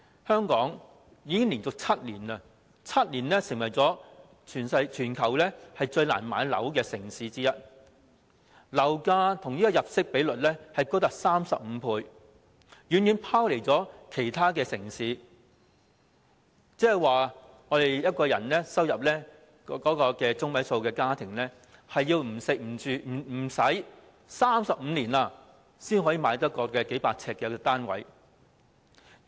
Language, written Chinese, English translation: Cantonese, 香港已經連續7年成為全球最難買樓的城市之一，樓價與入息比率高達35倍，遠遠拋離其他城市，即是說，一個收入為本地入息中位數的家庭，要不吃不花費35年，才買得起一個面積數百呎的單位。, For seven consecutive years Hong Kong has been one of the cities in the world where it is the least affordable to buy a home . The property price to income ratio has reached 35 leaving that in the other cities far behind . That is to say a family with a median household income has to refrain from eating and spending for 35 years before it can afford buying a flat with an area of several hundred square feet